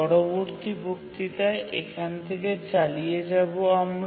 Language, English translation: Bengali, We will continue from this point in the next lecture